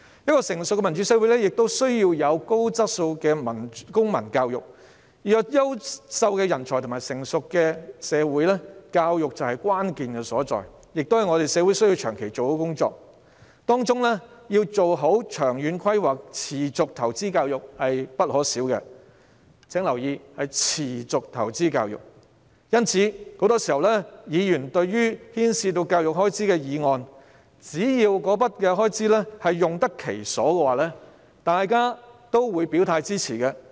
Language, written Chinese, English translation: Cantonese, 一個成熟的民主社會需要有高質素的公民教育，要培育優秀的人才和發展成熟的社會，教育就是關鍵所在，亦是我們社會需要長期進行的工作，當中要做好長遠規劃，持續投資教育是必不可少的——請注意，是持續投資教育——因此，對於牽涉教育開支的議案，只要開支用得其所，議員都會支持。, To nurture quality talents and develop a mature society education is the key . It is also something which our society needs to do on a long - term basis . It warrants proper long - term planning for which continuous investment in education is essential―please note that it is continuous investment in education―hence Members will support motions involving education expenditure provided that the money is spent properly